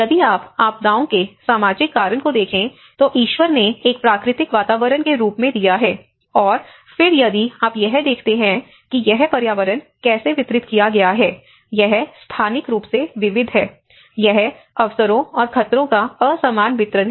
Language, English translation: Hindi, If you look at the social causation of the disasters, God has given as a natural environment and then if you look at how this environment has been distributed, it is distributed, it is spatially varied; it is unequal distribution of opportunities and hazards